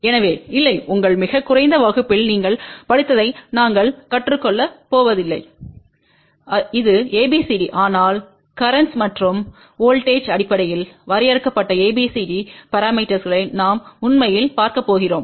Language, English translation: Tamil, So, now we are not going to learn what you studied in your very low class which is ABCD, but we are actually going to look at the ABCD parameters which are defined in terms of voltages and currents